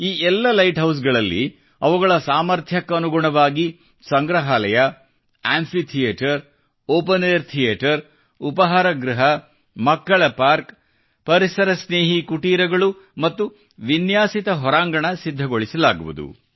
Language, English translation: Kannada, In all these light houses, depending on their capacities, museums, amphitheatres, open air theatres, cafeterias, children's parks, eco friendly cottages and landscaping will bebuilt